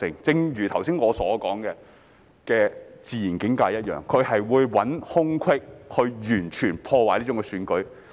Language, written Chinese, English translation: Cantonese, 正如剛才我所說的"自然境界"一樣，他們會找空隙去完全破壞選舉。, As I have earlier talked about the natural realm they will look for loopholes to fully undermine the election